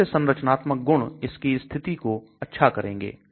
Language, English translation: Hindi, Which structural features improve its stability